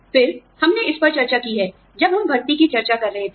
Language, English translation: Hindi, Again, we have discussed this at the, when we were discussing, recruitment